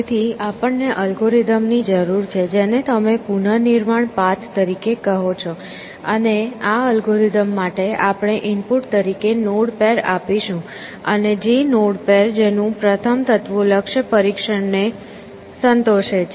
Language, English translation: Gujarati, So, we need than algorithm, which you will call as reconstruct path, and to this algorithm we will give a node pair as input, and which node pair the one whose first elements satisfy the goal test